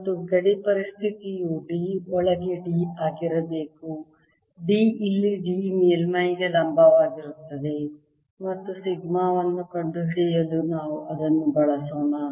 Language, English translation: Kannada, alright, and the boundary condition should be that d inside should be same as d here, the d perpendicular to the surface, and we'll use that to find sigma